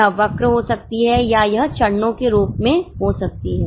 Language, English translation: Hindi, It may be a curve or it can be in the form of steps